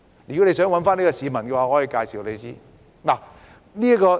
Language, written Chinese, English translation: Cantonese, 如果你想找這位市民，我可以向你介紹。, If you want to look for this person I can introduce him to you